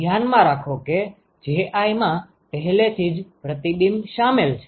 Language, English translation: Gujarati, So, keep in mind that Ji already includes reflection